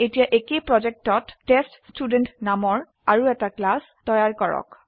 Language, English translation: Assamese, Now create another class named TestStudent inside the same project